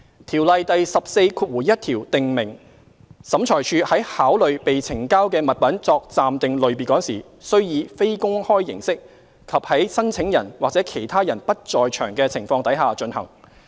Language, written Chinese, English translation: Cantonese, 《條例》第141條訂明審裁處在考慮被呈交的物品作暫定類別時，須以非公開形式及在申請人或其他人不在場的情況底下進行。, Section 141 of COIAO stipulates that when OAT is considering an article for the purpose of making an interim classification it shall do so in private and without the attendance of the applicant or any other person